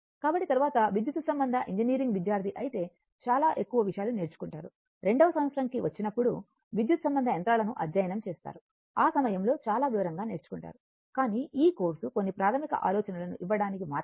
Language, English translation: Telugu, So, later when we learn your much more thing in the if you are an electrical engineering student, when you will go for your second year when you will study electrical machines, at that time you will learn much in detail right, but this course just to give you some basic ideas